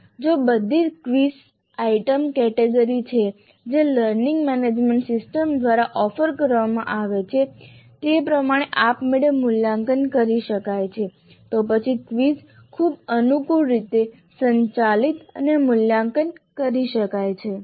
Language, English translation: Gujarati, If all quiz items belong to categories that can be readily evaluated automatically as offered by the learning management systems then the quizzes can be very conveniently administered and evaluated